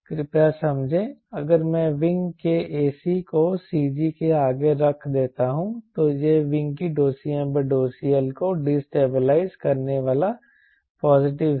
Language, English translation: Hindi, please understand if i put the a, c of the wing ahead of c g, it is a destabilizing d c m by d c l of the wing is positive